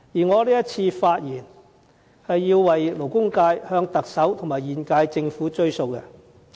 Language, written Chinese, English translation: Cantonese, 我這次發言，是要為勞工界向特首及現屆政府"追數"。, Today I speak on behalf of the labour sector to ask the Chief Executive and the current - term Government to make good of their promises